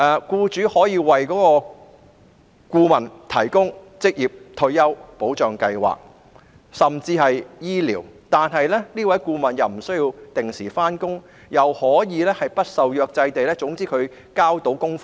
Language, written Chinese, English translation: Cantonese, 僱主可以為顧問提供職業退休保障及醫療福利，但他們不需要按時上班，只需要完成所指派的工作。, Employers could provide consultants with occupational retirement protection and medical benefits but the consultants are not required to report duty as scheduled as long as they have the assigned tasks completed